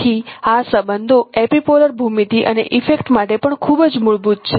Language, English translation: Gujarati, So this relationship is also a very fundamental to epipolar geometry